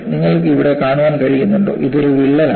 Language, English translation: Malayalam, And can you see here, I have this as a crack